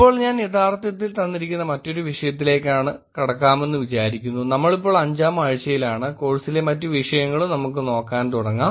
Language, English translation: Malayalam, Now, I thought I will actually move on to another topic given that we are in the week 5 we should actually start looking at other topics also in the course